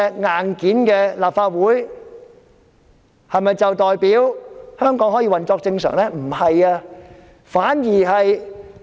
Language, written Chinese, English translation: Cantonese, 硬件的立法會回復原狀，是否代表香港可以運作正常呢？, The hardware of the Legislative Council has been restored . But does it mean that Hong Kong can operate normally?